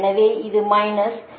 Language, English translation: Tamil, that is minus j one